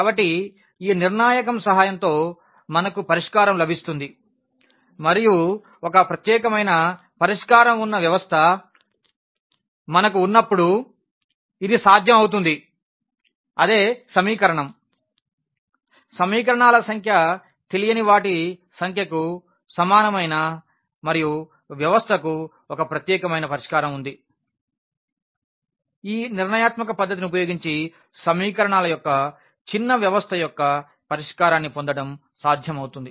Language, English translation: Telugu, So, with the help of this determinant we get the solution and this is possible when we have a system where a unique solution exists, the same equation the number of equations the same as the number of unknowns and the system has a unique solution in that case this is possible to get the solution of a rather smaller system of equations using this method of determinants